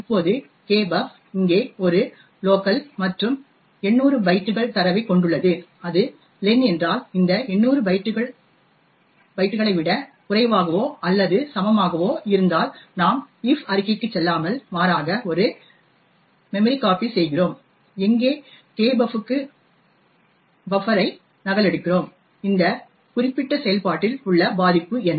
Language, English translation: Tamil, Now kbuf is a local over here and comprises of 800 bytes of data and if it is len is less than or equal to this 800 bytes then we do not go into the if statement but rather do a memcpy where we copy buffer to kbuf, so what is the vulnerability in this particular function